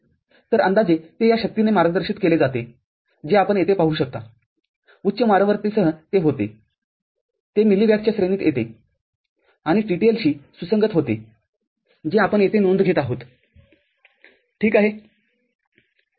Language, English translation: Marathi, So, roughly it is guided by this power that you see over here and with the higher high frequency it becomes it comes in the range of milli watt and becomes compatible to TTL that is we take note of here, fine